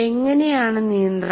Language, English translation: Malayalam, But how does it control